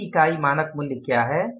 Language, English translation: Hindi, What is the standard price per unit